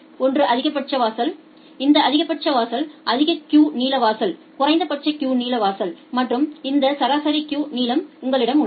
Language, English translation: Tamil, One is the maximum threshold, this maximum threshold is the maximum queue length threshold a minimum queue length threshold and you have this average queue length